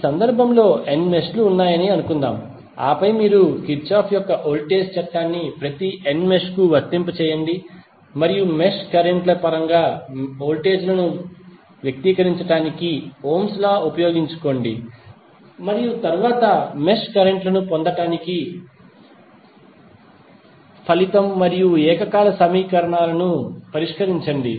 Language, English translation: Telugu, Suppose in this case there are n mesh and then you apply Kirchhoff's voltage law to each of the n mesh and use Ohm's law to express the voltages in terms of the mesh currents and then solve the resulting and simultaneous equations to get the mesh currents